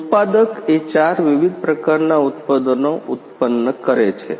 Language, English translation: Gujarati, is a producing four different kinds of products